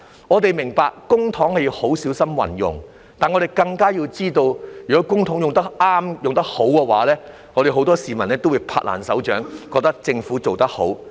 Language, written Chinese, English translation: Cantonese, 我們明白，公帑要很小心運用，但我們更加知道，如果公帑用得適當、用得好的話，很多市民都會"拍爛手掌"，覺得政府做得好。, We understand that public money has to be used very carefully but we also know that if public money is spent properly and in a good way the Governments good deed will be greeted with many peoples thunderous applause